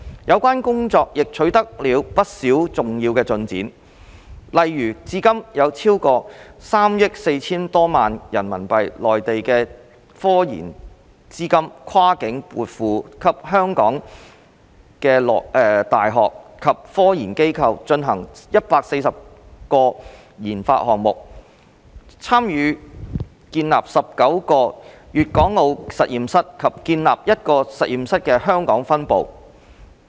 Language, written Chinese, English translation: Cantonese, 有關工作亦取得了不少重要進展，例如至今已有超過3億 4,000 多萬元人民幣內地科研資金跨境撥付給本地的大學及科研機構，進行約140個研發項目、參與建立19個粵港澳實驗室及建立一個實驗室的香港分部。, Significant progress has been made . For example so far over RMB340 million Mainland RD funding has been remitted across the border to local universities and RD institutions for conducting some 140 RD projects participating in the establishment of 19 Guangdong - Hong Kong - Macao Joint Laboratories and setting up the Hong Kong Branch of a laboratory